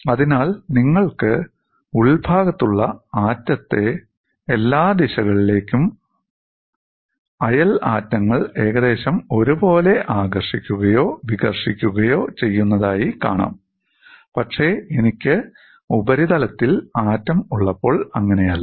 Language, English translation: Malayalam, So, what you find is, the interior atom is attracted or repulsed by the neighboring atoms more or less uniformly in all the directions, but that is not the case when I have the atom on the surface